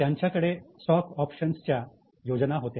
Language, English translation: Marathi, There were stock options schemes